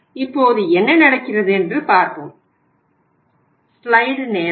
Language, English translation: Tamil, Now, let us see what happens